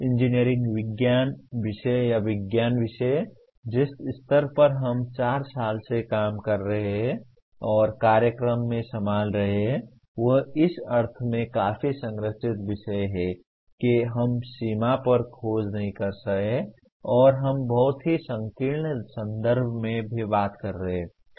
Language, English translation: Hindi, The engineering science subjects or science subjects; the way at the level at which we are handling in a 4 year program they are fairly structured subjects in the sense we are not exploring on the frontiers and we are also talking about in very very narrow context